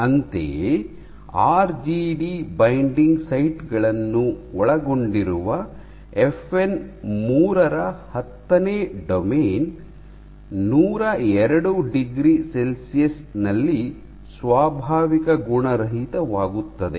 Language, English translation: Kannada, Similarly, tenth domain of FN 3 which contains the RGD binding sites, unfolds at, denatures at 102 degree Celsius